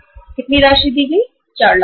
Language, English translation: Hindi, How much amount was given, 4 lakh rupees